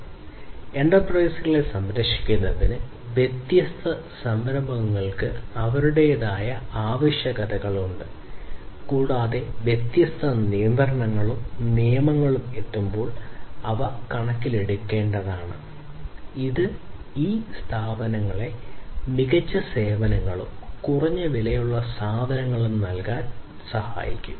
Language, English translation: Malayalam, So, for protecting the enterprises, different enterprises have their own different requirements, and those will have to be taken into consideration while arriving at different regulations and rules which can be, you know, which can help these organizations these enterprises to offer better services and low cost goods